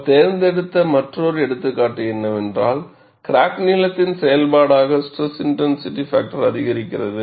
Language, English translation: Tamil, The other example they chose was, the SIF increases as a function of crack length